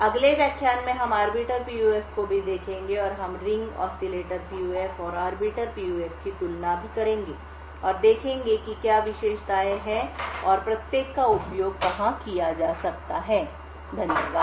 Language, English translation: Hindi, In the next lecture we will also, look at Arbiter PUF and we will also, compare the Ring Oscillator PUF and the Arbiter PUF and see what are the characteristics and where each one can be used, thank you